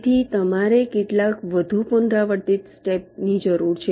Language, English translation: Gujarati, so you need some more iterative steps